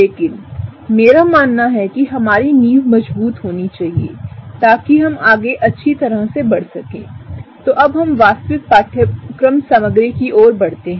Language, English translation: Hindi, But my understanding is that our foundation should be strong so that we can build up really good as we go ahead and look in the actual course material